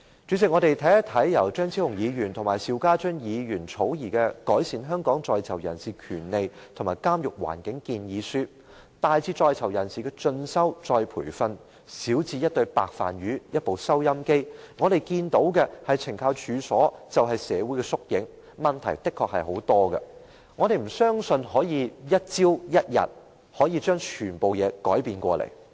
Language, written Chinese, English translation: Cantonese, 主席，我們看看由張超雄議員和邵家臻議員草擬的"改善香港在囚人士權利及監獄環境建議書"，大至在囚人士的進修、再培訓，小至一對"白飯魚"、一部收音機，我們看到的是懲教署其實是社會的縮影，當中的確有很多問題，我們亦不相信可以一朝一日便把所有事情改變。, President let us look at the Proposal on Improving Prisoners Rights and Prison Environment in Hong Kong drafted by Dr Fernando CHEUNG and Mr SHIU Ka - chun . It sets out some major recommendations including prisoners further studies and retraining and also some minor ones such as the provision of a pair of canvas sneakers and a radio . We can see that CSD is actually an epitome of society and it is honestly plagued by many problems